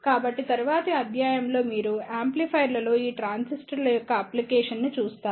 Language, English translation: Telugu, So, in the next lecture you will see the application of these transistors in amplifiers